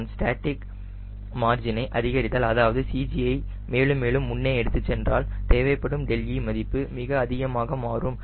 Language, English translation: Tamil, if i am increasing the static margin, that is, i am taking the c g forward and forward, then delta i required to will become pretty high